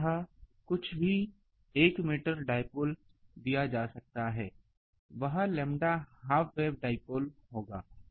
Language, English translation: Hindi, So, this this whatever is given 1 meter dipole that will be a lambda um half wave dipole